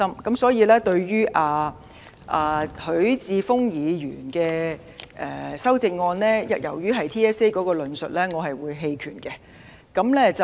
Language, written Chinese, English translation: Cantonese, 因此，對於許智峯議員的修正案，因其中關於 TSA 的論述，我會棄權。, Therefore regarding Mr HUI Chi - fungs amendment I will abstain for voting due to his comments on TSA